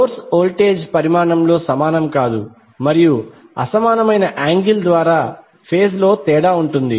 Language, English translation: Telugu, The source voltage are not equal in magnitude and or differ in phase by angle that are unequal